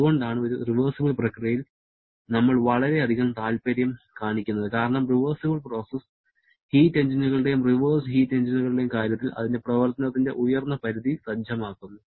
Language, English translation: Malayalam, That is why we are very much interested in a reversible process because reversible process sets up the upper limit of operation both in case of heat engines and reversed heat engines